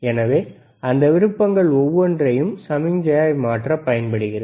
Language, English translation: Tamil, So, each of those options are used to change the signal